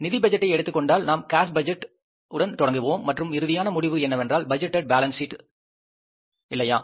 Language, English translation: Tamil, In case of the financial budget, we start with the cash budget and the end result is preparing the budgeted balance sheet